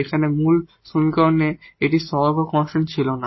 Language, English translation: Bengali, So, this equation now is with constant coefficients